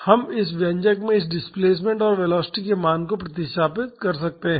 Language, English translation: Hindi, We can substitute the value of this displacement and velocity in this expression